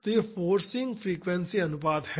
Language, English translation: Hindi, So, these are the forcing the frequency ratios